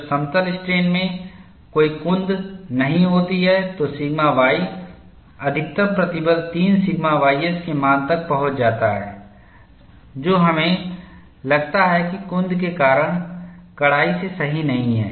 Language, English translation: Hindi, When there is no blunting in plane strain the sigma y, the maximum stress reaches the value of 3 sigma ys, which we find is not strictly correct, because of blunting, this was pointed out by Irwin